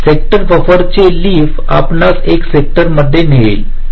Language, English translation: Marathi, so the leaf of the sector buffer will lead you to one of the sectors and each of the sector